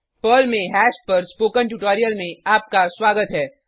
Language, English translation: Hindi, Welcome to the spoken tutorial on Hash in Perl